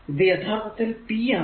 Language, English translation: Malayalam, So, this is actually p is a power